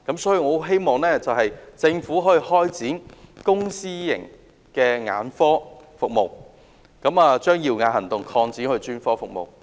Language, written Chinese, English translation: Cantonese, 所以，我希望政府擴展公私營眼科服務，將"耀眼行動"擴展到其他專科服務。, Therefore I hope the Government will widen the scope of public - private ophthalmological services to extend CSP to other specialist services